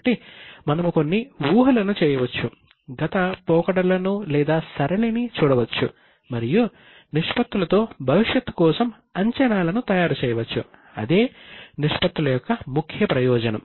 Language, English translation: Telugu, So, we can make certain assumptions, look for the past trends and make the projections for the future, that's an advantage of the ratios